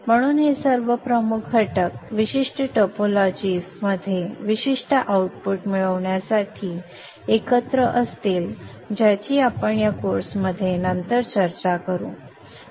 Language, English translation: Marathi, So all these major components will be put together in specific topologies to achieve specific outputs which we will discuss later on in this course